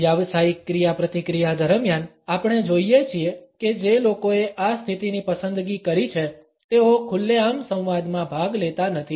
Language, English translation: Gujarati, During professional interactions, we find that people who have opted for this position do not openly participate in the dialogue